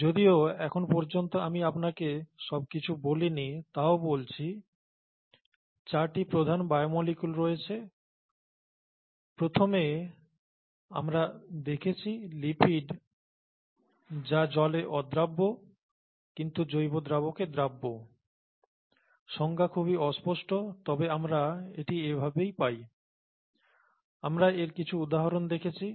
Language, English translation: Bengali, The major biomolecules, I keep mentioning this although I haven’t told you everything so far, the major biomolecules are four, we first saw lipids which are water insoluble substances that are soluble in organic solvents, reasonably vague definition but that’s what it is, we saw some examples of it